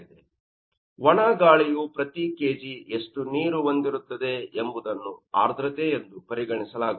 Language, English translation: Kannada, That means per kg dry air is how much water is being carried that will be regarded as humidity